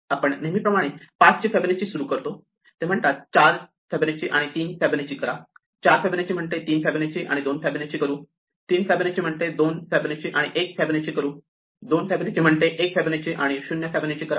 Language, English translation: Marathi, So, we start Fibonacci of 5 as usual, it says do 4 and 3, 4 says do 3 and 2, 3 says do 2 and 1, 2 says do 1 and 0